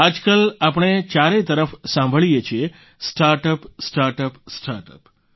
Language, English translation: Gujarati, These days, all we hear about from every corner is about Startup, Startup, Startup